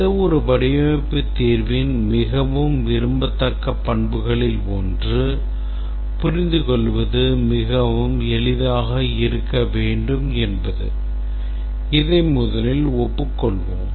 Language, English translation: Tamil, First let us agree that one of the most desirable characteristics of any design solution is that it should be very easy to understand